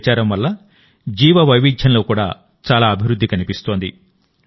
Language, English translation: Telugu, A lot of improvement is also being seen in Biodiversity due to this campaign